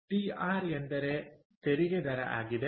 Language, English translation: Kannada, so tr stands for tax rate